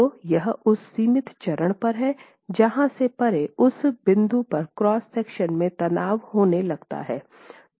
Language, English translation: Hindi, So, it's at that limiting stage where beyond that point you start getting tension in the cross section